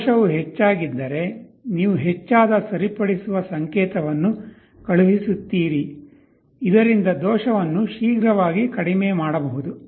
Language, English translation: Kannada, If the error is large you send a larger corrective signal so that that the error can be reduced very quickly